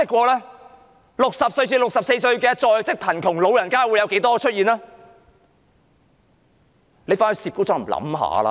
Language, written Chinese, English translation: Cantonese, 年齡60至64歲的在職貧窮長者有多少人呢？, What is the number of working elderly between the age of 60 and 64 who are living in poverty?